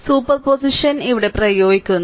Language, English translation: Malayalam, Now superposition we are applying